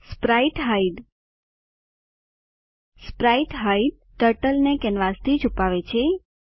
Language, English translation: Gujarati, spritehide spritehide hides Turtle from canvas